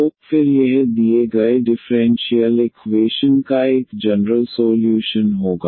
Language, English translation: Hindi, So, then this will be a general solution of the given differential equation